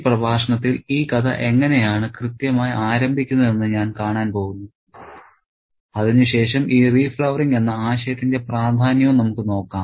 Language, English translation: Malayalam, So, in this lecture I'm going to see how exactly this story is plotted to begin with and then let's see the importance of this idea of re flowering as well